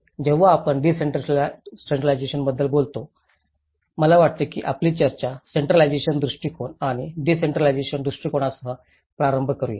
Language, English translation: Marathi, When we talk about decentralization, I think let’s start our discussion with the centralized approach and the decentralized approach